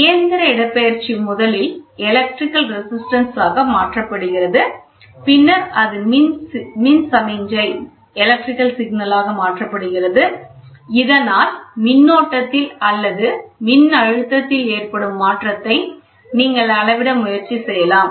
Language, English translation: Tamil, The mechanical displacement is first converted into a change in the electric resistance which is then converted into an electrical signal, that is, change in the current or the voltage, it is done so, that you can try to measure it